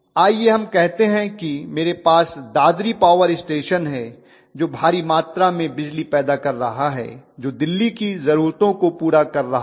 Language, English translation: Hindi, That is let us say I have Dadri power station which is generating a huge amount of electricity which is catering the needs of Delhi